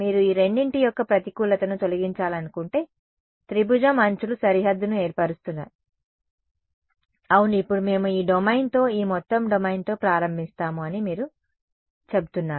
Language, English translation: Telugu, If I if you wanted to remove the disadvantage of both of them, the edges of the triangle do form the boundary, yes now so, you are saying that we start with this domain this entire domain